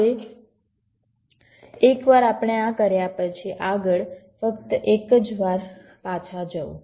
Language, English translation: Gujarati, ok, now, once we have done this, next, ok, just going back once